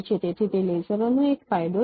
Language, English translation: Gujarati, So that is one advantage of a lasers